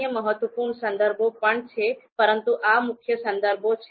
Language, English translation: Gujarati, There are other important references as well, but these are the main references